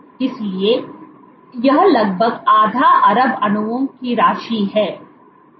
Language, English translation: Hindi, So, this amounts to roughly half billion molecules